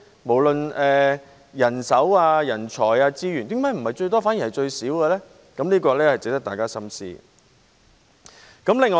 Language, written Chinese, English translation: Cantonese, 無論是人手、人才或資源方面，為何不是最高，反而是最少呢？, No matter in terms of manpower talent or resources why is our input not the highest but the least?